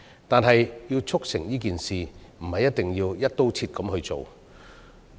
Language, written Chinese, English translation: Cantonese, 但是，要促成這件事，不一定要"一刀切"處理。, However to this end it is not necessary to tackle all offences in one go